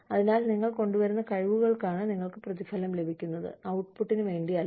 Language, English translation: Malayalam, So, you are paid for the skills, you bring, not for the output